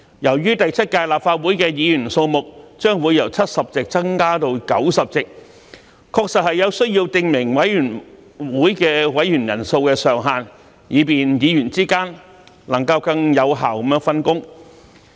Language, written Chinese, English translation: Cantonese, 由於第七屆立法會的議員數目將會由70席增至90席，確實有需要訂明委員會委員人數上限，以便議員之間能更有效分工。, As the number of Members in the Seventh Legislative Council will increase from 70 to 90 there is a genuine need to specify the maximum number of members in a committee so that there can be a more effective division of work among Members